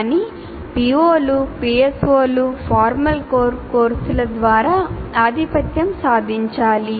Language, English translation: Telugu, O's and PSOs need to be attained through formal courses, core courses